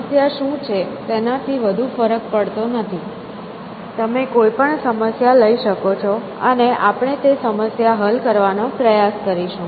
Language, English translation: Gujarati, So, we does not matter what the problem is, you can take any problem and we will try to solve the problem